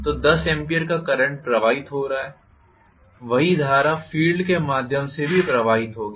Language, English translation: Hindi, So, 10 amperes of current is flowing, the same current would flow through the field as well